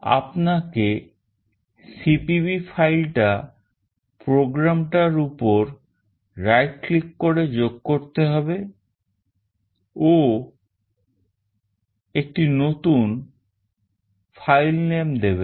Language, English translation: Bengali, You have to add the cpp file by right clicking on your program and then add a new filename